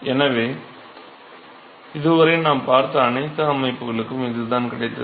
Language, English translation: Tamil, So, this is what we found for all the systems we have looked at so, far